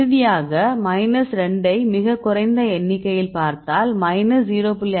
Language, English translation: Tamil, So, finally, if you see minus 2 there very less number then up to minus 0